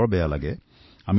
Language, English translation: Assamese, I feel very bad